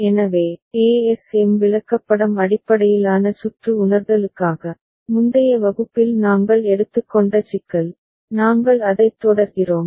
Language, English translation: Tamil, So, for ASM chart based circuit realization, so the problem that we had taken up in the previous class, we continue with that ok